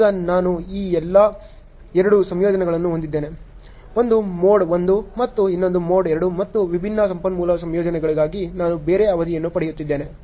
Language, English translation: Kannada, Now, I have two combinations here; one is mode 1 other one is mode 2 and for the different resource combinations I am getting a different duration